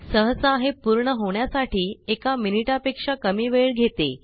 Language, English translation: Marathi, Usually it takes less than a minute to complete